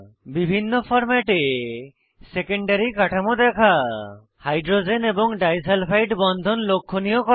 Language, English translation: Bengali, * Display secondary structure of proteins in various formats * Highlight hydrogen bonds and disulfide bonds